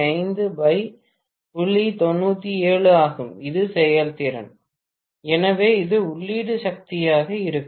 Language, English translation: Tamil, 97 this is the efficiency, so this will be the input power